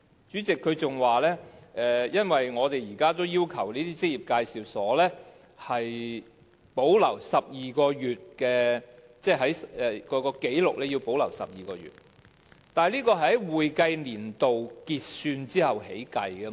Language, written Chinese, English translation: Cantonese, 主席，局長還說他們現時已要求職業介紹所必須保留12個月的紀錄，但局長，這其實是在會計年度完結後才開始計算的。, Chairman the Secretary has also pointed out that employment agencies are required to keep records for 12 months . Secretary the period should actually begin after the expiry of each accounting year . The Secretary is remarkably good at making calculations